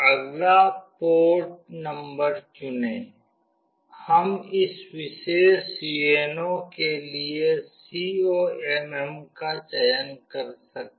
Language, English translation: Hindi, Next select the port number; we can select this COMM for this particular UNO